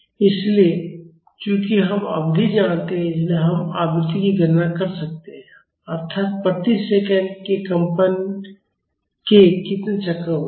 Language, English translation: Hindi, So, since we know the period, we can calculate the frequency so; that means, how many cycles of vibration are there in per second